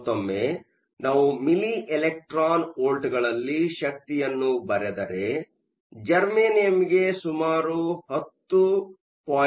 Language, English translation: Kannada, Again, if we are writing energy in milli electron volts, germanium is around 10